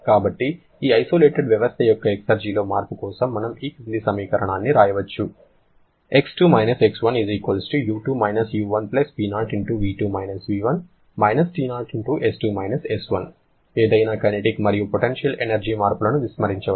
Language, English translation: Telugu, So, if we write an expression for the change in the exergy of this isolated system X2 X1 will be=U2 U1+T0*V2 V1 the expression we have just developed*S2 S1 neglecting any kinetic and potential energy changes